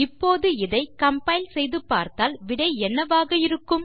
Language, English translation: Tamil, So if we compile this what do you think the result is gonna be